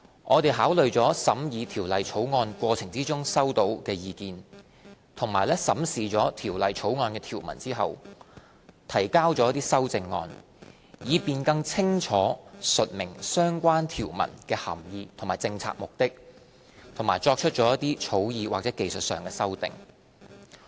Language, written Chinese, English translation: Cantonese, 我們考慮了審議《條例草案》過程中收到的意見，以及在審視《條例草案》的條文後，提交了一些修正案，以便更清楚述明相關條文的涵義及政策目的，以及作出一些草擬或技術修訂。, After we had considered the views received during the deliberation of the Bill and examined the provisions of the Bills we submitted some amendments to spell out the meaning and policy objectives of the relevant provisions more clearly and make some draft or technical amendments